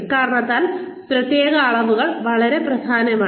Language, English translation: Malayalam, Because of this, performance dimensions are very important